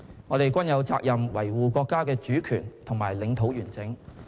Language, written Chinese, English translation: Cantonese, 我們均有責任維護國家的主權和領土完整。, We all have the responsibility to safeguard our countrys sovereignty and territorial integrity